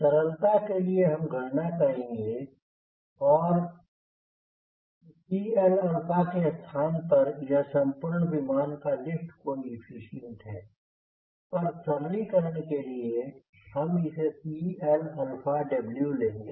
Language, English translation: Hindi, we, for simplicity, we will calculate that instead of cl alpha this is lift coefficient for whole aircraft but will be, for simplification will take it as cl alpha of wing